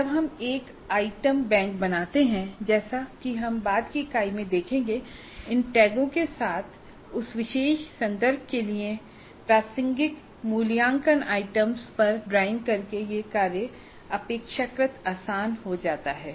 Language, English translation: Hindi, When we create an item bank as we shall see in a later unit with these tags it becomes relatively simpler to set an assessment instrument by drawing on the assessment items which are relevant for that particular context